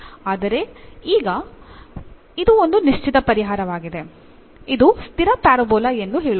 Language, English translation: Kannada, But now this is a particular solution say parabola it is a fixed parabola